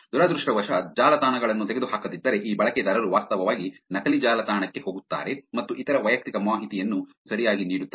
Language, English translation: Kannada, If the websites are not taken down unfortunately these users just actually end up actually going to the fake website and giving away other personal information right